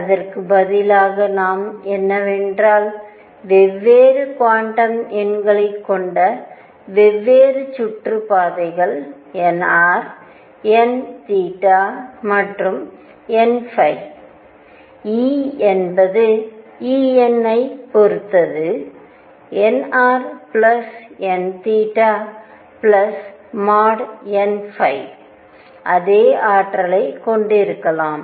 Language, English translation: Tamil, What we could instead have is that different orbits with different quantum numbers nr, n theta and n phi could have the same energy E n depending on nr plus n theta plus mod n phi